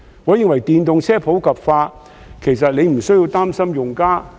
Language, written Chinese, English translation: Cantonese, 我認為電動車普及化，其實局長不需要擔心用家。, I opine that on promoting the popularization of EVs the Secretary needs not worry about the users